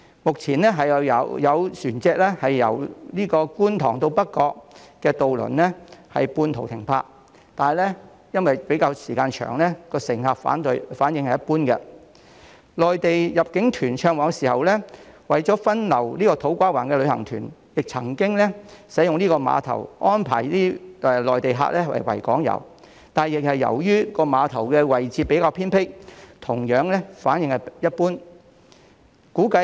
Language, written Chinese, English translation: Cantonese, 目前由觀塘到北角的渡輪需要半途停泊，但因為時間較長，乘客反應一般；內地入境團暢旺的時候，為了分流土瓜灣的旅行團，亦曾經使用這個碼頭以安排內地客參與維港遊，但由於碼頭的位置比較偏僻，反應同樣一般。, At present ferries plying between Kwun Tong and North Point need to berth there midway . Given the longer travelling time the response from passengers has been lukewarm . During the boom of Mainland inbound tours in order to divert the tour groups in To Kwa Wan harbour tours for Mainland visitors also used this piers but the response was equally lukewarm due to the relatively remote location of the pier